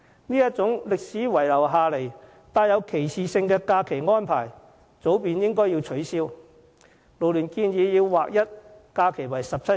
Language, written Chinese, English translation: Cantonese, 這種歷史遺留下來並帶有歧視性的假期安排早應取消，勞聯建議畫一假期為17天。, Such a holiday arrangement left over from history and discriminatory in nature should long have been abolished . FLU recommends the alignment of holidays to 17 days